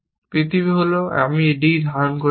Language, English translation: Bengali, The world is, I am holding d